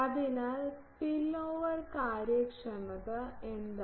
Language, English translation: Malayalam, So, what is spillover efficiency now